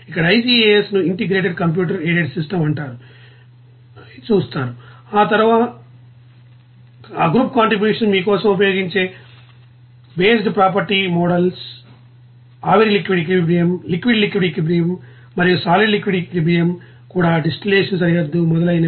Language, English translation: Telugu, Here ICAS it is called integrated computer aided systems there, they are you will see that group contribution, based property models used for you know vapor liquid equilibrium, liquid liquid equilibrium and solid liquid equilibrium even you know distillation boundary, residue curve etc